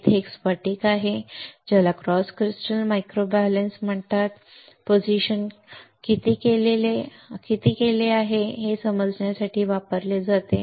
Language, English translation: Marathi, There is a crystal over here which is called cross crystal microbalance used to understand how much the position has been done